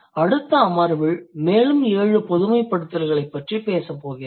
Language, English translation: Tamil, There are seven more generalizations which I will discuss in the next session